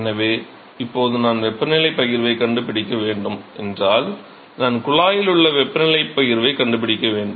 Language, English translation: Tamil, So, now, if I want to find the temperature distribution I want to find the temperature distribution inside the tube, let us say in the fully developed regime